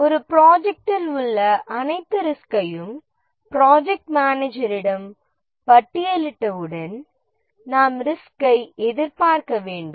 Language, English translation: Tamil, Once we have listed all the risks in a project, with the project manager, we need to anticipate the risks